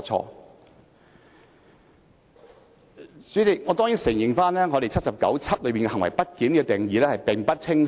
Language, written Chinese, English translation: Cantonese, 代理主席，我當然認同《基本法》第七十九條第七項中對"行為不檢"作出的定義並不清晰。, Deputy President I certainly agree that the definition of misbehaviour in Article 797 of the Basic Law is unclear